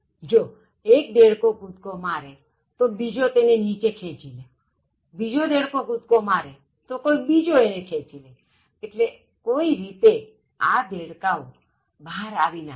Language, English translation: Gujarati, You know if one frog jumps, the other frog will pull it down, so one frog jumps, the other will pull it down, so there is no way these frogs will jump out